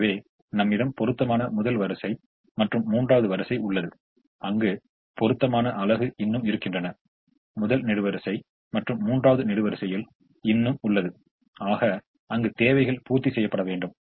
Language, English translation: Tamil, so we have first row and third row where supplies are still available, and first column and third column where requirements have to be met